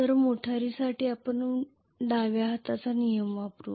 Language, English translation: Marathi, Whereas for motor we will use left hand rule